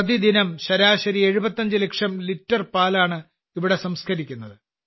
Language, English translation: Malayalam, On an average, 75 lakh liters of milk is processed here everyday